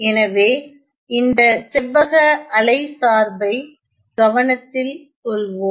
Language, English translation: Tamil, So, consider a rectangular wave function